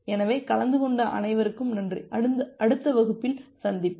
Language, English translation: Tamil, So thank you all for attending, hope we will meet in the next class